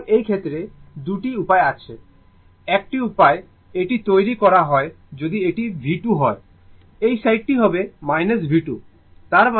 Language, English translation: Bengali, So, in in this case , 2 way one way it is made if it is V 2, this side will be minus V 2 , right